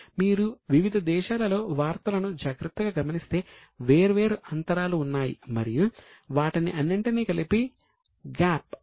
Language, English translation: Telugu, If you observe carefully the news in different countries there are different gaps and they together are called as GAAP